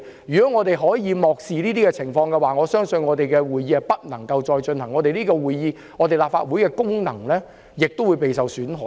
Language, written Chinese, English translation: Cantonese, 如果我們漠視這些情況，我相信我們將不能繼續舉行會議，立法會的功能亦會受損。, If we ignore such circumstances I believe we will be unable to proceed with any meeting and the functions of the Legislative Council will also be impaired